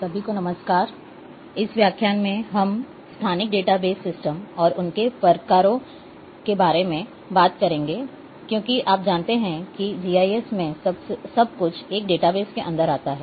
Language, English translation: Hindi, Hello everyone, in this lecture we will be talking about spatial database systems and their types as you know that everything in GIS has to go inside a database